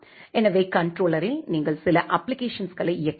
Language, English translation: Tamil, So, on the controller you have to run certain applications